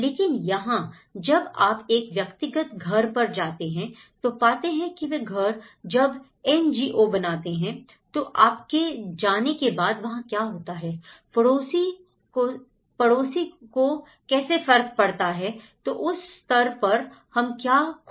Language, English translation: Hindi, But here, when you go on an individual house for a house you build a house when NGO comes and build a house, you go away and thatís it so what happens next, how it affects the neighbour, so that is where we are missing in that level